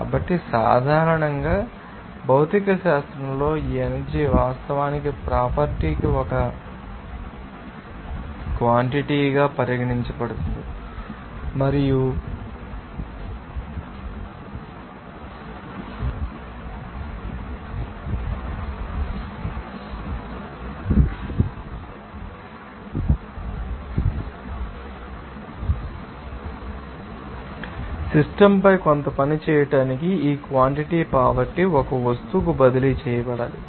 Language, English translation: Telugu, So, in physics generally, this energy is the actually considered as a quantity to property and this quantity poverty must be transferred to an object in order to perform some work on the system